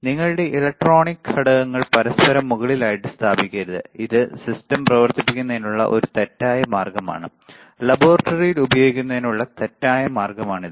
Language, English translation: Malayalam, Never place your electronic components one over each other; this is a wrong way of operating the system, wrong way of using in the laboratory, right